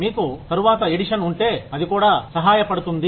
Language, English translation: Telugu, If you have a later edition, that will also be helpful